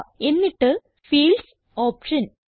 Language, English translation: Malayalam, Then click on the Fields option